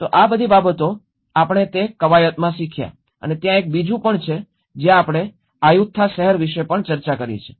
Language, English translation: Gujarati, So all these things, we are learnt in that exercise and there is one more we have also discussed about the city of Ayutthaya